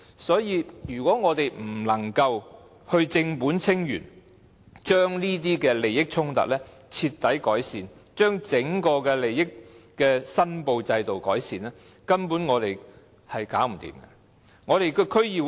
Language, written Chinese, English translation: Cantonese, 所以，如果我們不能夠正本清源，徹底解決這些利益衝突，改善整個利益申報制度，根本處理不到問題。, Hence if we fail to address the problem at root thoroughly resolve these conflicts of interests and improve the whole declaration system we will not be able to deal with the problem at all